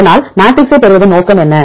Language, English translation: Tamil, So, what is the purpose of deriving the matrices